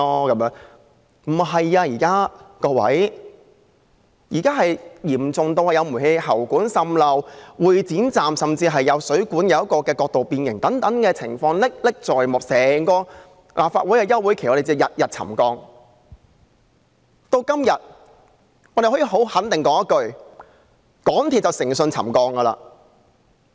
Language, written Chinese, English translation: Cantonese, 各位，不是這樣的，現在問題嚴重至有煤氣喉管滲漏，會展站甚至有水管角度變形，這些情況歷歷在目，在整個立法會休會期間，我們每天均在處理沉降問題。, Now the problem is so serious that there has been leakage from gas pipes . At the Exhibition Centre Station there has even been angular distortion of pipes . Such situations are still vivid in our minds